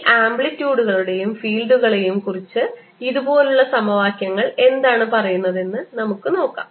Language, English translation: Malayalam, let us see what equations tell us about these amplitudes and the fields, if they exist, like this